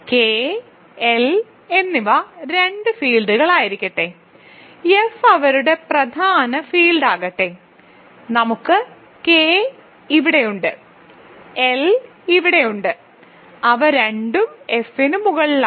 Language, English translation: Malayalam, Let K and L be two fields I should say and let F be their prime field, so what we have is K is here, L is here and they are both over F